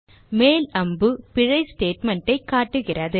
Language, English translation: Tamil, The up arrow points to the error statement